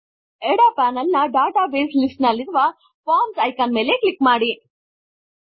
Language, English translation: Kannada, Let us click on the Forms icon in the Database list on the left panel